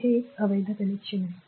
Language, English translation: Marathi, So, this is invalid connection